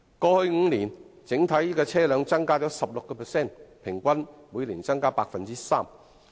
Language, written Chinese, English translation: Cantonese, 過去5年，整體車輛數目已增加 16%， 平均每年增加 3%。, In the past five years the total number of vehicles has increased by 16 % representing an average increase of 3 % per year